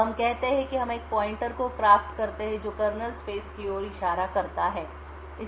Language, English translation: Hindi, Now let us say that we craft a pointer which is pointing to the kernel space